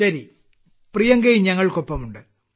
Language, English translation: Malayalam, Ok, Priyanka is also with us